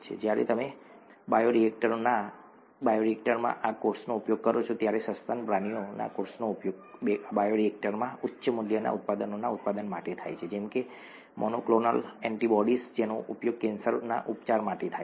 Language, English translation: Gujarati, When you use these cells in the bioreactor, mammalian cells are used in the bioreactor for production of high value products such as monoclonal antibodies which are used for cancer therapy and so on